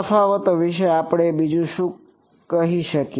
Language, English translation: Gujarati, Any what else can we say about the differences